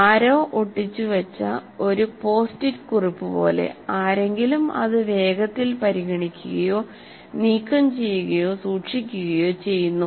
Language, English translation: Malayalam, Somebody stuck it like a post it note is put on that and somebody quickly considers that and either removes or keeps it